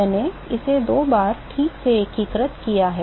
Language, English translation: Hindi, I have integrated it twice ok